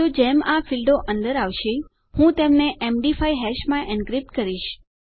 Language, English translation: Gujarati, So, as soon as these fields are coming in, I will encrypt them into an md 5 hash